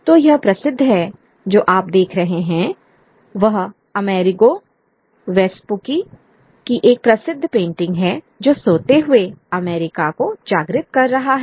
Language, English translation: Hindi, So this is a famous, what you see is a famous painting of America, Amerigo Vespici awakening the sleeping America